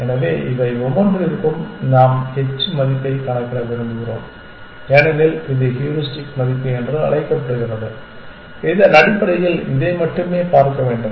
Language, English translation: Tamil, So, we want to four each of this we want to compute the h value as it is called are the heuristic value which basically should look at this only